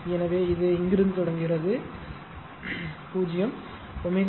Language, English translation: Tamil, So, this is starting from here 0